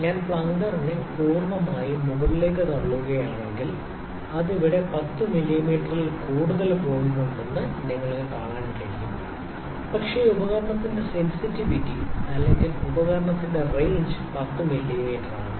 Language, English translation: Malayalam, If I push the plunger completely above you can see it has though it has gone more than 10 mm here, but the sensitive of the sensitivity of the instrument or the range of instrument is that can be read is 10 mm